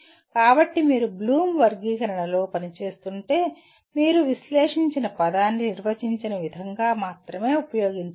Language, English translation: Telugu, So if you are operating within Bloom’s taxonomy you have to use the word analyze only in the way it is defined